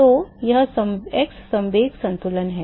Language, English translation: Hindi, So, that is the x momentum balance